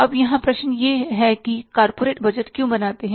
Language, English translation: Hindi, Now, here the question is why corporates do budgeting